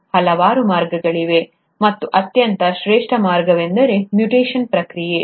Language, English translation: Kannada, There are multiple ways, and the most classic way is the process of mutation